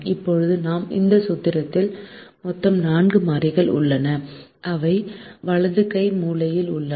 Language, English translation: Tamil, now we have a total of four variables in this formulation that we have on the right hand corner